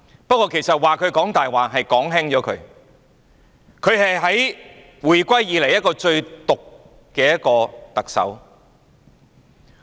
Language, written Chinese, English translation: Cantonese, 不過，其實說她"講大話"已經是說輕了，她是回歸以來最毒的特首。, But to say that she is lying is already a mild comment indeed . She is the most vicious Chief Executive ever since the reunification